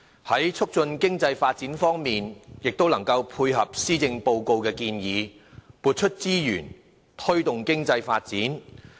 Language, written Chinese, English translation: Cantonese, 在促進經濟發展方面，亦能配合施政報告的建議，撥出資源推動經濟發展。, With regard to the promotion of economic development resources have also been allocated to tie in with the proposals put forward in the Policy Address